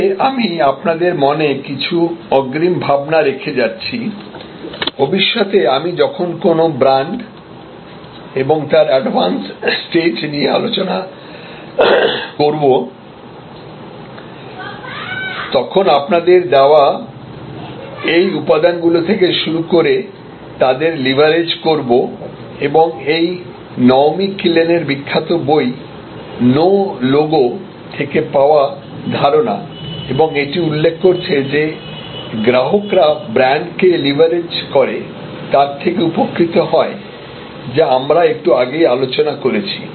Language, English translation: Bengali, But, I am leaving some advance thoughts in your mind what is this, because I will the leverage on this starts later on when I read discuss a brand, that in advanced stage and this is another view from a very famous book call no logo by Naomi Killen and this pointed out that consumers leverage brand consumers derive benefits from brand, which we discussed just now